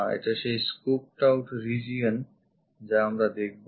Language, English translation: Bengali, This one is a scooped out region which we will see